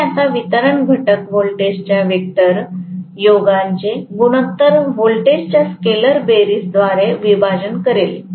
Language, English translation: Marathi, So, I am going to have now the distribution factor will be the ratio of the vector sum of the voltages divided by the scalar sum of the voltages